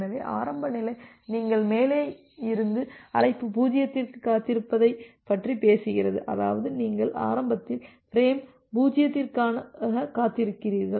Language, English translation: Tamil, So, the initial state talks about that you wait for call 0 from above; that means, you are waiting for frame 0 initially